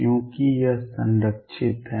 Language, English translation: Hindi, Because it is conserved